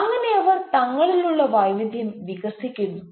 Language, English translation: Malayalam, that is how they develop the diversity within themselves